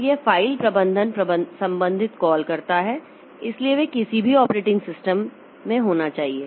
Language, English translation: Hindi, So, this file management related calls, so they are they are they are they should be there in any operating system